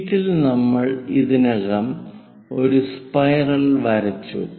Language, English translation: Malayalam, On sheet, we have already drawn a spiral